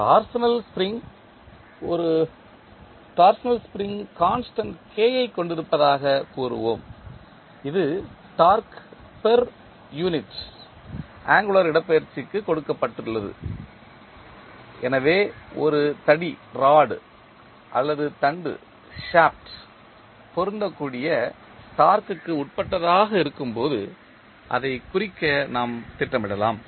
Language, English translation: Tamil, Torsional spring let us say we have a torsional spring constant k that is given in torque per unit angular displacement, so we can devised to represent the compliance of a rod or a shaft when it is subject to applied torque